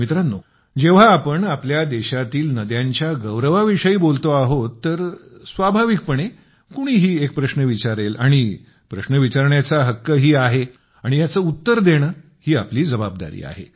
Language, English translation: Marathi, now that we are discussing the significance of rivers in our country, it is but natural for everyone to raise a question…one, in fact, has the right to do so…and answering that question is our responsibility too